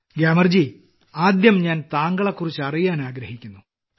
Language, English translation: Malayalam, Fine Gyamar ji, first of all I would like toknow about you